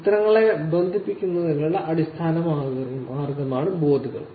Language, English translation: Malayalam, Boards is the basic way by which the images are connected